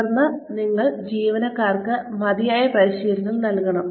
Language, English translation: Malayalam, Then, you must provide, adequate practice for the employees